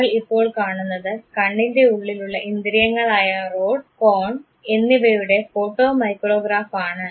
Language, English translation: Malayalam, What you see now is a photo micrograph of the rod and cone sense in the eyes